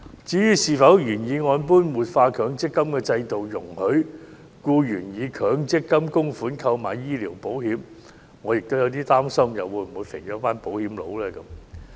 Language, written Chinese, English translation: Cantonese, 至於是否應如原議案建議般活化強積金制度，容許僱員以強積金供款購買醫療保險，我亦有點擔心會否肥了"保險佬"。, As to the question of whether we should revitalize the MPF System by allowing employees to use MPF contributions to take out medical insurance as proposed in the original motion I am worried that the only beneficiaries of this initiative are the insurance companies